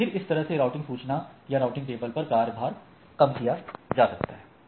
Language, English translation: Hindi, And then my load on this routing information or routing table can be reduced